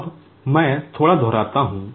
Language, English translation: Hindi, Now, let me repeat a little bit